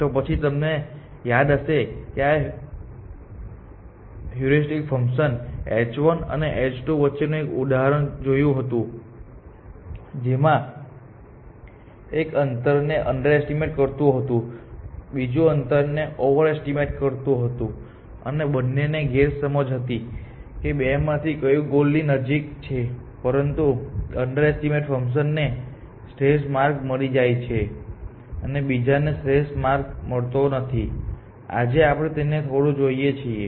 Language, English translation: Gujarati, So, we if you remember we saw an example in betweens of 2 heuristic functions h 1 and h 2, one of them underestimating the distance, other was the overestimating the distance and both of them had a wrong notion of which of those two candidates was closer to the goal, but the underestimating function did find that optimal path and the other one did not; today we show this little bit formally